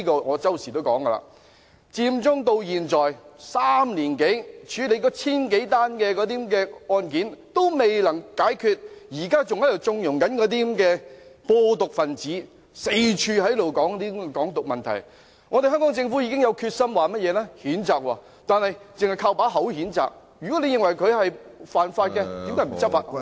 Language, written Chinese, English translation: Cantonese, 我經常說，佔中至今已3年多，那千多宗案件還未完成處理，現在還在縱容那些"播毒"分子四處談論"港獨"問題，香港政府說已經有決心譴責，但只是單憑空談，如果認為他們犯法，為何不執法呢？, As I always mention it has been more than three years since the Occupy Central movement but the thousand - odd cases concerned have not yet been completely handled and we are still condoning the wide discussion of Hong Kong independence by those toxic spreading activists . The Hong Kong Government says it is determined to reprimand them but this is merely empty talk . If it thinks that they have breached the law why does it not enforce the law?